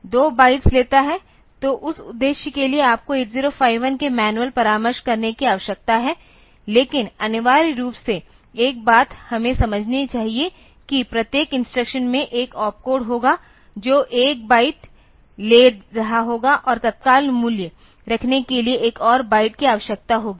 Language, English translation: Hindi, So, for that purpose you need to consult the manual of 8051, but essentially one thing we should understand that every instruction there will be an opcode which will be taking 1 byte and another byte will be required for holding the immediate value